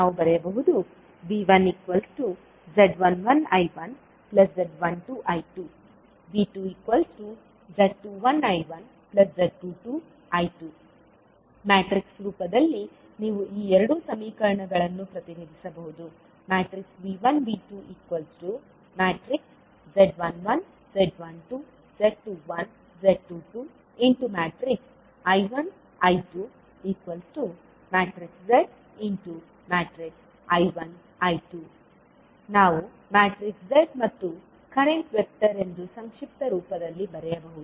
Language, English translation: Kannada, We can write V1 as Z11 I1 plus Z12 I2 and V2 as Z21 I1 plus Z22 I2 or in matrix form you can represent these two equations as matrix of V1, V2 and then you will have the impedance method that is Z11, Z12, Z21 and Z22 and then current vector